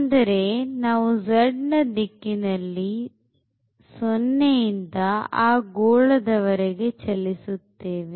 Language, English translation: Kannada, So, we are moving from 0 in the direction of z to that sphere